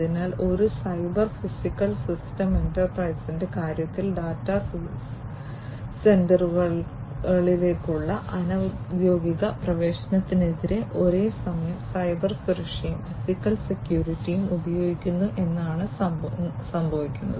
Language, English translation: Malayalam, So, what happens is that in the case of a cyber physical system enterprises use Cybersecurity and physical security simultaneously against unofficial access to data centers